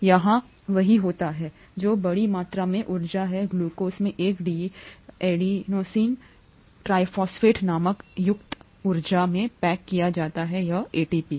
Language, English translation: Hindi, So that is what happens here, the large amount of energy in glucose gets packaged into appropriate energy in what is called an Adenosine Triphosphate or ATP